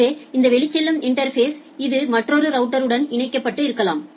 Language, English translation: Tamil, So, with this outgoing interface possibly another router this is connected